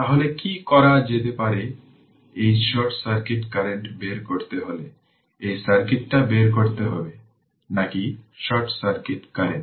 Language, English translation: Bengali, So, so what you can do is that to find out this short circuit current, this is the circuit you have to find out you have to find out, your short circuit current